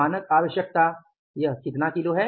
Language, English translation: Hindi, Standard cost was how much